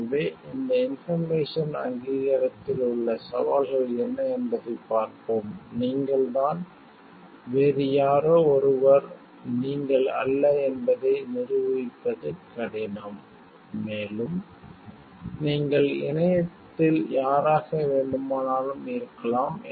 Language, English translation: Tamil, So, let us see what are the challenges in this information each authentication it is harder to prove that you are you and somebody else is not you, and you can be anything and anyone in internet